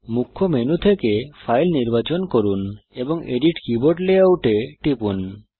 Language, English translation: Bengali, From the Main menu, select File, and click Edit Keyboard Layout